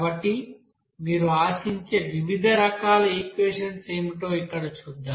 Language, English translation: Telugu, So let us see here, what are the different types of equation you may expect there